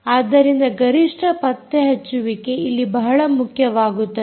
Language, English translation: Kannada, so peak detection becomes an important thing